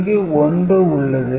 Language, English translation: Tamil, So, these are 0 0